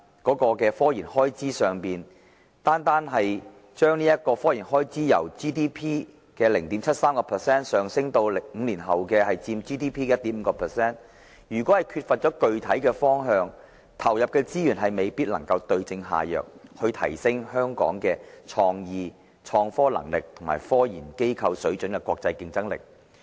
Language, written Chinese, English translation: Cantonese, 這也反映出，如果單單將科研開支由佔 GDP 的 0.73% 上升到5年後的 1.5%， 但卻缺乏具體的方向，投入的資源未必能夠對症下藥，提升香港的"創意"、"創科能力"和"科研機構水準"的國際競爭力。, This also reflects that by merely increasing the expenditure on RD as a percentage of GDP from 0.73 % to 1.5 % in five years without formulating a clear direction the resources invested may not the right remedy for enhancing the international competitiveness of Hong Kong in respect of Innovation Capacity for innovation and Quality of scientific research institutions